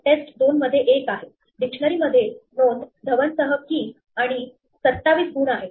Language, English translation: Marathi, In test 2, has one dictionary entry with Dhawan as a key and 27 is the score